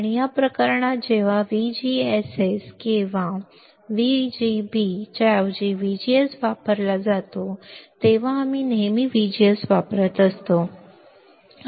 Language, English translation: Marathi, And in this case when VGS is used instead of VGSS or VGB right we are using always VGS